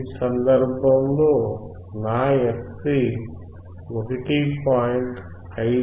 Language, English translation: Telugu, In this case my fc would be 1